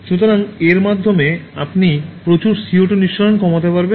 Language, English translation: Bengali, So, by that you can save lot of CO2 consumption